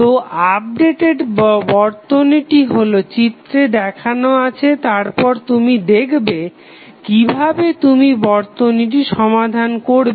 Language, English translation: Bengali, So, the updated circuit is as shown in the figure then you will see that how you will solve